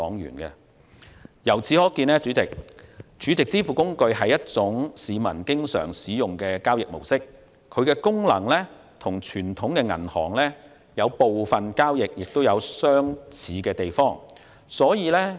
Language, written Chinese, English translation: Cantonese, 主席，由此可見 ，SVF 是市民經常使用的交易模式，其功能與傳統銀行的部分交易有相似之處。, President it can be seen that SVF is a transaction mode frequently used by the public and its functions are similar to certain transactions handled by traditional banks